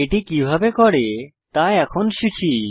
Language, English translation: Bengali, Let us now learn how to do this